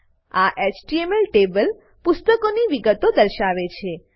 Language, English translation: Gujarati, This HTML table will display details of the books